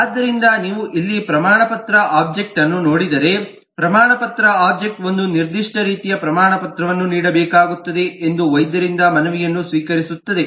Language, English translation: Kannada, so if you look at the certificate object here, then the certificate object receives a request form the doctor that a certain type of certificate will have to be issued